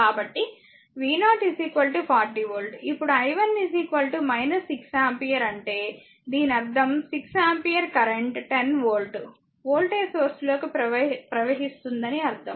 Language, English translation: Telugu, So, v 0 is equal to 40 volt , now i 1 is equal to minus 6 ampere this means that 6 ampere current is flowing into the 10 volt 10 volt volt the source